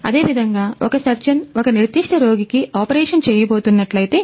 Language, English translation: Telugu, Similarly, if a surgeon is going to operate on a particular patient